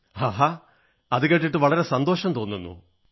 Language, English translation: Malayalam, Great… it's nice to hear that